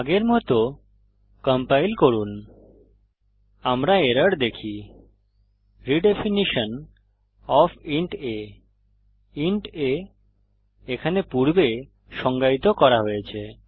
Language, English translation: Bengali, Now compile as before , We see errors , Redefinition of inta , int a previously defined here